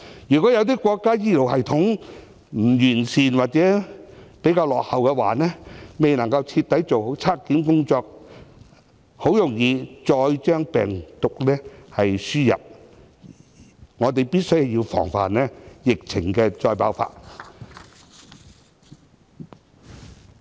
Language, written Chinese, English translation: Cantonese, 如果有些國家醫療系統不完善或比較落後，未能夠徹底做好檢測工作，很容易再將病毒輸入，我們必須防範疫情再度爆發。, In countries where the health care systems are not well developed or relatively backward proper viral testing may not be conducted and the virus may easily be imported into Hong Kong again . Thus we must guard against the recurrence of the epidemic